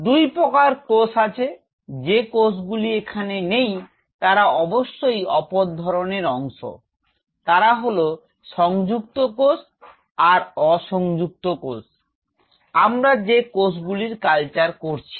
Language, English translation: Bengali, There are 2 kind of cells; Cells which are not here of course they are other parts of what they have, they are Adhering cell and Non Adhering cells which cells are we culturing